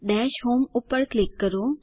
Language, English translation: Gujarati, Click on Dash home